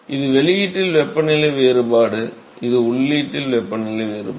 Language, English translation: Tamil, So, this is the temperature difference at the outlet this is the temperature difference at the inlet